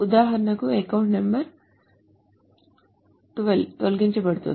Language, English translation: Telugu, So, essentially the account number 12 is deleted